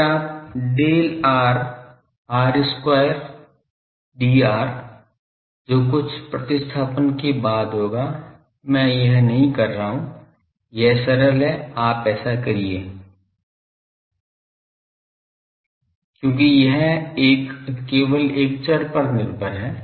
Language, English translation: Hindi, Then del r r square d r that will after some substitution I am not doing it is simple you do because it is a one only one variable dependence